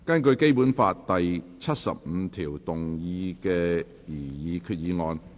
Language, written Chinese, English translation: Cantonese, 根據《基本法》第七十五條動議的擬議決議案。, Proposed resolution under Article 75 of the Basic Law